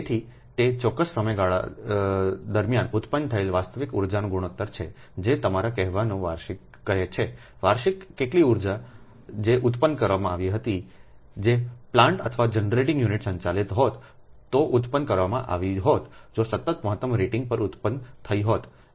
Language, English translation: Gujarati, say annually, ah, annually, how much energy that that was produced to the energy that would have been produced if the plant or generating units had operated continuously at maximum rating